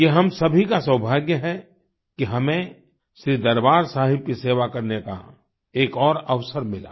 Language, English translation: Hindi, It is the good fortune of all of us that we got the opportunity to serve Shri Darbaar Sahib once more